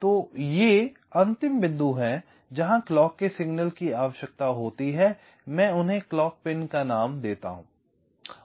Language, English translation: Hindi, so these are the final points where the clock signals are required, the clock pins, i call them